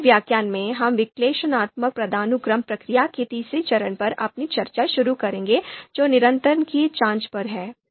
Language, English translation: Hindi, And in the in the in the next lecture, we will start our discussion on the third step of Analytic Hierarchy Process which is on consistency check